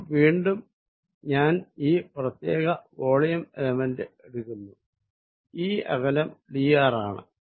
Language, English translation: Malayalam, So, again I am taking this particular volume element, this distance is d r how much is dr